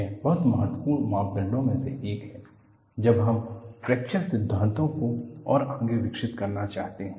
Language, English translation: Hindi, That is one of the very important parameters when we want to develop the fracture theory soon and so forth